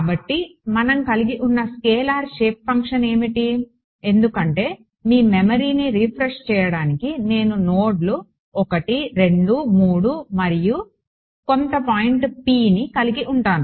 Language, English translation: Telugu, So, what was the kind of scalar shaped function that we had because just to refresh your memory if I had nodes 1 2 3 and some point P in between right